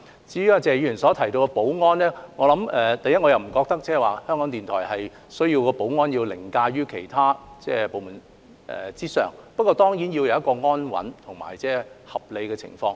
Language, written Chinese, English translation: Cantonese, 至於謝議員所提到的保安問題，我不覺得港台需要的保安安排要凌駕於其他部門之上，但港台當然要有一個安穩及合理的運作環境。, As for the security concern mentioned by Mr TSE I do not think that the security arrangement required by RTHK should override that made for other departments but RTHK certainly needs a stable and reasonable operating environment